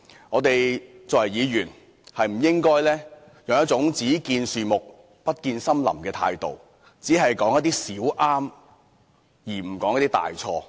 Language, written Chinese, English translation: Cantonese, 我們作為議員，不應該用一種"只見樹木，不見森林"的態度，只說出一些"小對"，而不說出一些"大錯"。, As legislators we must consider the big picture instead of merely pointing out the less significant areas where he has done right but not referring to the more series faults committed by him